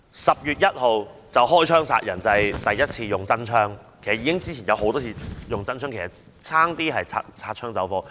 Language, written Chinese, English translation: Cantonese, "十月一槍殺人"，就是指警方第一次使用真槍，其實之前也曾多次發射實彈，差一點便擦槍走火。, The October 1 - kill with guns slogan refers to the firing of live rounds for the first time by the Police . In fact live rounds had been fired a number of times before that and had nearly caused injuries